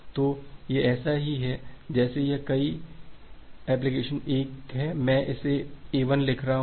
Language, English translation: Hindi, So, it is just like that say this application 1 say application 1, I am writing it an A1